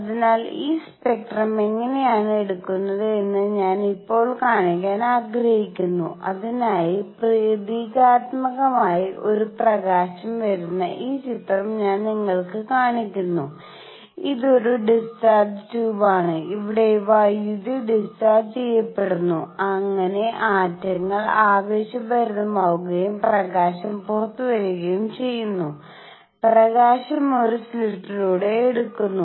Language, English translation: Malayalam, So, what I want to show now how is this spectrum taken and for that symbolically, I show you this picture where the light is coming from a; this is discharge tube where electricity is discharged so that the atoms get excited and light comes out, the light is taken through a slit